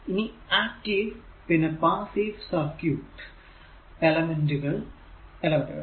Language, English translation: Malayalam, So, active and passive circuit elements